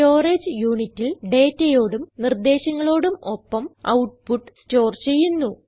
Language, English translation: Malayalam, The output is then stored along with the data and instructions in the storage unit